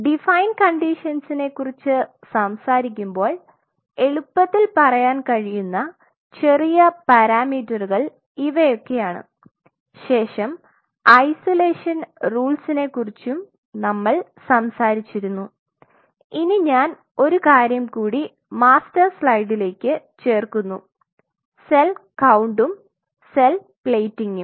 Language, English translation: Malayalam, So, when we talk about define condition these are those small parameters which will come very handy we talked about the isolation rules then we talked about let me add one more in your master slide cell count and followed by now cell plating